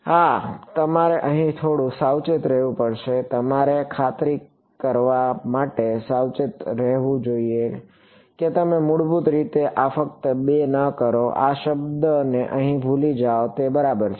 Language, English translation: Gujarati, Yeah so, you have to be a little bit careful over here you should be careful to make sure that you do not by default set this just 2 and forget this term over here it matters ok